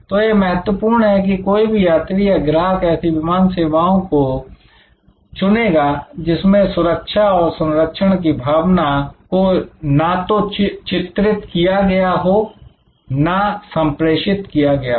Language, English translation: Hindi, So, it is important, no passenger, no customer will choose an airline, which does not portray does not convey that sense of security and safety